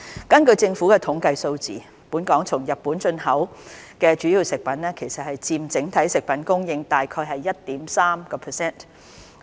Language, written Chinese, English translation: Cantonese, 根據政府統計處的數字，本港從日本進口的主要食物佔整體食物供應約 1.3%。, According to the figures of the Census and Statistics Department the import of basic foodstuff from Japan amounts to about 1.3 % of the total food supply in Hong Kong